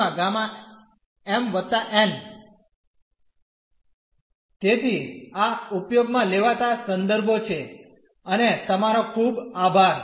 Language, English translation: Gujarati, So, these are the references used and thank you very much